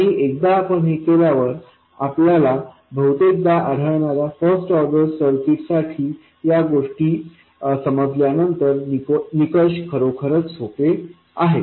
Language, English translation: Marathi, And once you do that, once you understand these things for first order circuits which is what we most often encounter, the criterion is really easy